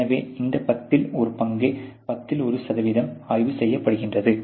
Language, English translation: Tamil, So, one tenth about tenth percent is inspected